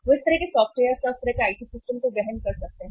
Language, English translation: Hindi, They can they can afford to have that kind of the uh softwares or that kind of the IT systems